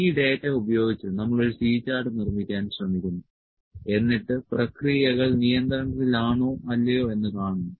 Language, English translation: Malayalam, And the using this data, try to make a C chart and see whether the processes in control or not